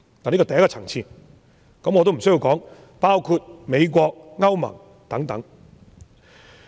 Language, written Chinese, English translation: Cantonese, 我也無須說，這些國家包括美國和歐盟等。, Needless to say these countries include the United States and those of the European Union